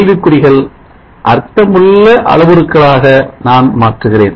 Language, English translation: Tamil, Let me replace the question marks by meaningful variables